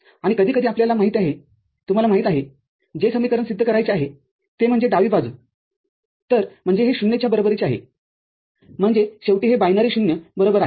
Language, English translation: Marathi, And also occasionally one you know, gives theyou know, identity to be proved that this is the left hand side so, that this is equal to 0, I mean, this is equal to binary 0 at the end